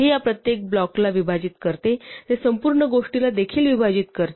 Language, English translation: Marathi, So it divides each of these blocks it also divides the whole thing